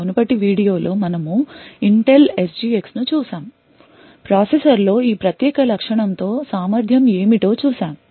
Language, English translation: Telugu, In the previous video we had also looked at the Intel SGX we have seen what was capable with this particular feature in the processor